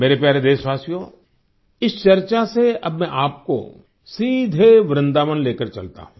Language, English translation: Hindi, My dear countrymen, in this discussion, I now straightaway take you to Vrindavan